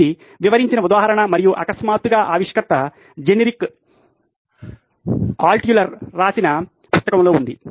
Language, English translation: Telugu, This is an example described in and suddenly the inventor appeared a book by Generic Altshuler